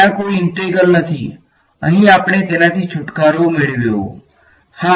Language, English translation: Gujarati, There is no there is no integral over here we got rid of it, yes